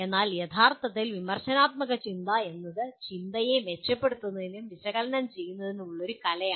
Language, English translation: Malayalam, But actually critical thinking is the art of analyzing and evaluating thinking with a view to improving it